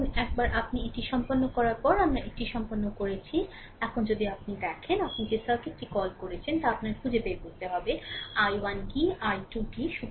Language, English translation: Bengali, Now, once we have done it once you have done it, now if you look into that your what you call the circuit you have to find out, what is i 1 what is i 2